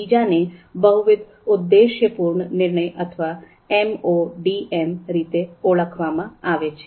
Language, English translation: Gujarati, The second one is called multiple objective decision making or MODM